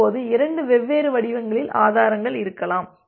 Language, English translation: Tamil, Now, there can be two different source of problems